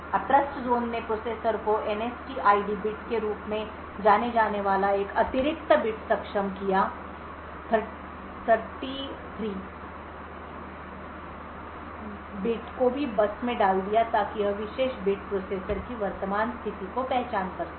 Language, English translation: Hindi, Now with Trustzone enabled processors an additional bit known as the NSTID bit the, 33rd bit put the also put out on the bus so this particular bit would identify the current state of the processor